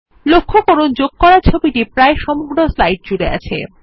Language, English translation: Bengali, Notice that the inserted picture covers almost the whole slide